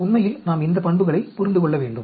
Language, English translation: Tamil, Actually we need to understand these properties